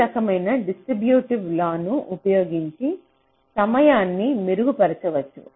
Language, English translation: Telugu, so this kind of a distributive law you can use to improve timing